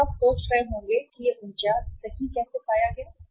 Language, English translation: Hindi, Now you must be wondering how this 49 has been found out right